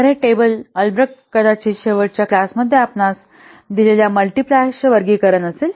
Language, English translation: Marathi, So that table albred that complexity classifiers, the multipliers we have already given you in the last class